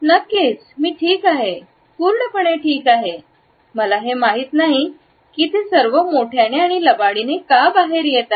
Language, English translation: Marathi, Absolutely I am fine totally fine I do not know why it is coming out all loud and squeaky because really I am fine